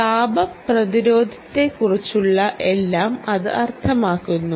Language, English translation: Malayalam, it simply means everything about thermal resistance